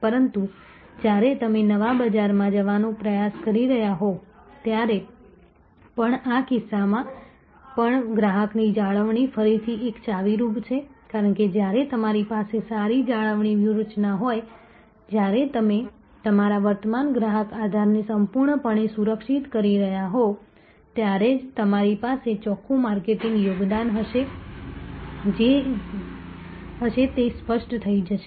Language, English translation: Gujarati, But, again highlighting that customer retention is again a key even in this case when you trying to go into new market, because it is only when you have good retention strategy only when you are completely protecting your current customer base you will have net marketing contribution this will become clear